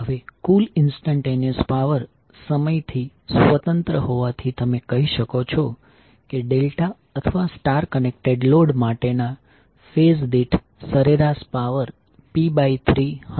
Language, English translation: Gujarati, Now since the total instantaneous power is independent of time, you can say the average power per phase for the delta or star connected load will be p by 3